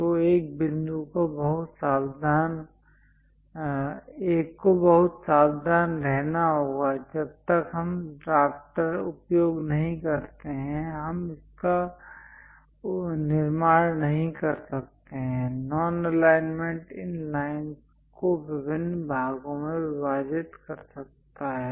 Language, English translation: Hindi, So, one has to be very careful; unless we use drafter, we cannot really construct this; non alignment may divide these line into different parts